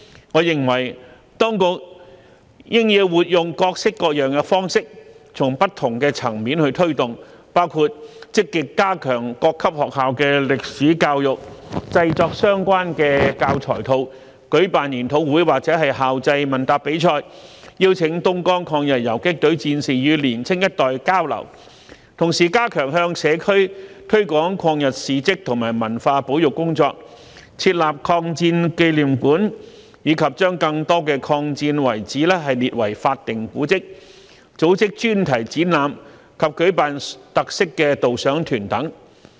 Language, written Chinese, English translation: Cantonese, 我認為當局應活用各式各樣的方式，從不同的層面推動，包括積極加強各級學校的歷史教育、製作相關教材套、舉辦研討會或校際問答比賽，邀請東江抗日游擊隊戰士與年青一代交流，同時加強向社區推廣抗日事蹟和文物保育工作、設立抗戰紀念館，以及將更多抗戰遺址列為法定古蹟、組織專題展覽及舉辦特色導賞團等。, I think the authorities should flexibly employ various means to do the promotion at different levels including proactively strengthening history education at schools at all levels producing relevant education kits organizing seminars or interschool quiz competitions and inviting veterans of the Dongjiang Column to exchange with young people while at the same time stepping up the promotion of the historical facts about anti - Japanese aggression in the community and heritage conservation setting up a memorial hall of the War of Resistance declaring more sites marking the War of Resistance as statutory monuments and organizing thematic exhibitions and featured guided tours